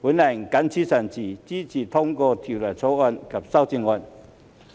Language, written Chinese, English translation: Cantonese, 我謹此陳辭，支持通過《條例草案》及修正案。, With these remarks I support the passage of the Bill and the amendments